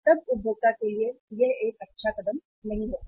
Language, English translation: Hindi, Then the consumer will be uh it will not be a good step